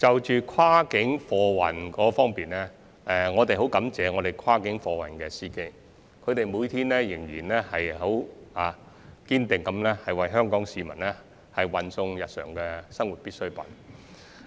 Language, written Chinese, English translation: Cantonese, 就跨境貨運而言，我們十分感謝跨境貨運司機，每天堅定不移為香港市民運送日常生活必需品。, With regard to cross - boundary freight transport we are very grateful to cross - boundary freight drivers for their unwavering commitment in delivering daily necessities to Hong Kong people